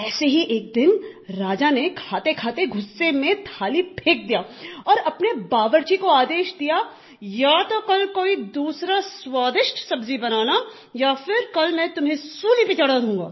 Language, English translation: Hindi, One such day, the king while eating, threw away the plate in anger and ordered the cook to make some tasty vegetable the day after or else he would hang him